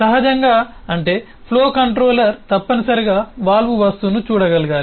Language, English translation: Telugu, naturally, that means that the flow controller must be able to see the valve object